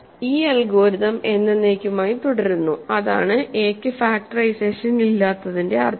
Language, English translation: Malayalam, This algorithm continues forever, that is the meaning of a having no factorization